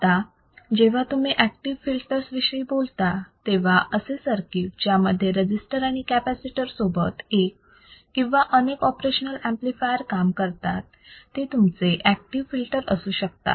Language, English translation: Marathi, Now, when you talk about active filters, the circuit that employ one or more operational amplifiers or any other amplifier, in addition to the resistor and capacitors then that will be your active filter